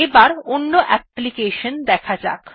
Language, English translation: Bengali, Now lets look at another application